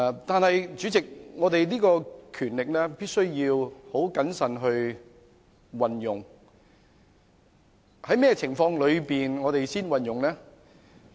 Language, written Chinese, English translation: Cantonese, 然而，立法會的權力必須謹慎運用，在甚麼情況下才運用呢？, However the Legislative Councils power must be exercised with caution . Under what circumstances this power should be exercised?